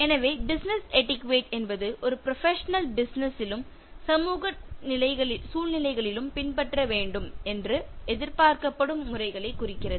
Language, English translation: Tamil, So, Business Etiquette refer to those mannerisms a professional is expected to follow in business as well as social situations